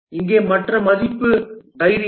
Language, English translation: Tamil, And here the other value is courage